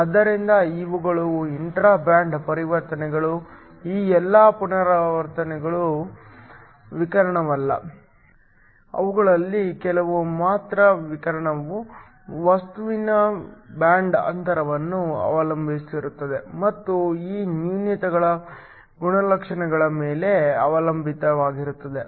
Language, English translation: Kannada, So, these are intra band transitions, not all of these transitions are radiative only some of them are radiative will depend upon the band gap of the material and also upon the characteristic of these defects states